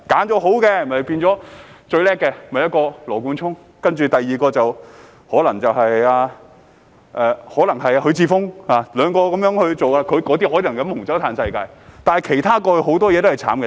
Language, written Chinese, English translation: Cantonese, 當中最棒的是羅冠聰，第二個可能是許智峯，兩個被選中的可能可以喝紅酒、"嘆世界"，但其他人到了外國大都是可憐的。, The best is Nathan LAW and the second best is probably HUI Chi - fung . These two chosen ones may drink red wine and have a great time but the rest would have to lead miserable lives in foreign countries